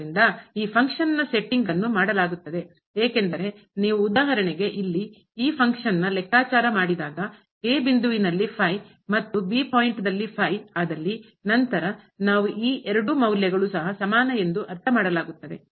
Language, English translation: Kannada, So, for the setting of this function is done because if you compute here for example, the at the point and at the point then we will realize that these two values are also equal